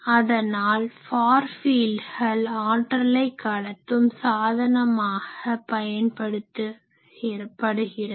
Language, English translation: Tamil, So, far fields are the vehicle for transportation of energy